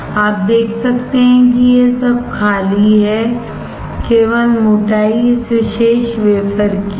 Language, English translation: Hindi, You can see this is all empty, only thickness is of this particular wafer